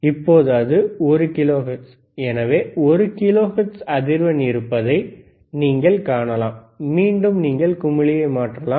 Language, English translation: Tamil, So now it is 1 kilohertz right, so, you can see there is a one kilohertz frequency again you can change the knob